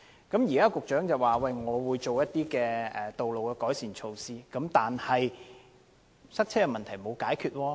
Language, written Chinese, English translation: Cantonese, 局長表示會進行道路改善措拖，但塞車問題並沒有得到解決。, Although the Secretary indicated that road improvement measures would be taken the congestion problems have not yet been addressed